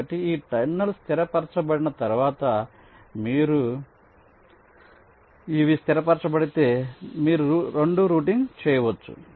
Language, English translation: Telugu, so once these terminals are fixed, you can or these are fixed, you can route two